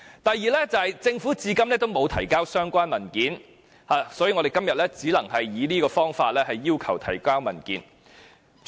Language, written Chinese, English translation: Cantonese, 第二，政府至今仍沒有提交相關文件，所以，我們今天只能以這方法要求他們提交文件。, Second the Government has yet to provide any relevant document so far . So we can only request the documents by this means today